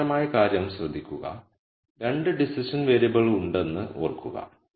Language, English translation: Malayalam, Notice something interesting remember there are 2 decision variables